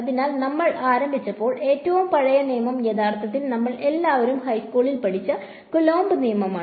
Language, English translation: Malayalam, So, when we started you the oldest law was actually by the Coulomb’s law which we have all studied in high school right